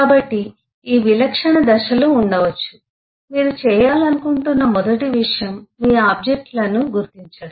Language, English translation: Telugu, so the typical stages could give, based on, the first thing you would like to iden do is to identify your objects